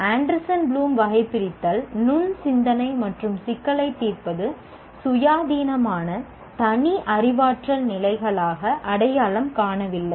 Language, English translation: Tamil, Anderson and Bloom taxonomy doesn't identify critical thinking and problem solving as an independent separate cognitive levels